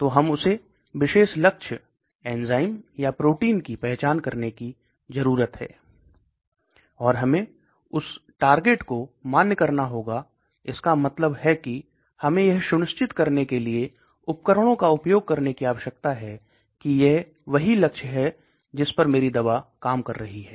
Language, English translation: Hindi, So we need to identify that particular target, the enzyme or protein, and we need to validate the target that means we need to use tools to be sure that that is the target on which my drug is acting